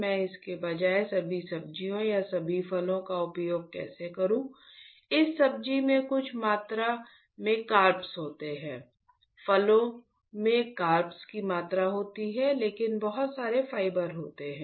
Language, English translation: Hindi, How about I use all the vegetables instead or all the fruits instead of course, this vegetables has some amount of carbs, fruits has amount of carbs, but lot of fibers